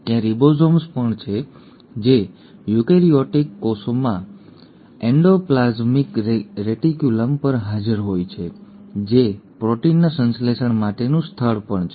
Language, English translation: Gujarati, There are also ribosomes which are present on the endoplasmic reticulum in eukaryotic cells that is also a site for synthesis of proteins